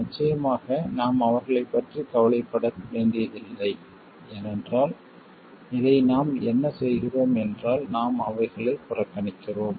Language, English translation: Tamil, Of course we won't have to worry about them because what do we do with this we just neglect them